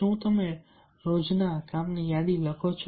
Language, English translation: Gujarati, do you write daily to do list